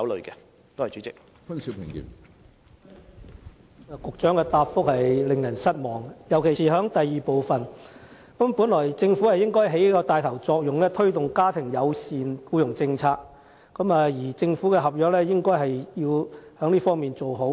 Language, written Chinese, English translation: Cantonese, 局長的答覆令人失望，尤其是主體答覆的第二部分，因為政府本該起帶頭作用，推動家庭友善僱傭政策，在政府合約中做好這一方面的安排。, The reply given by the Secretary is disappointing especially part 2 of the main reply because the Government should take the lead to promote family - friendly employment policies and make the necessary arrangements accordingly when awarding government service contracts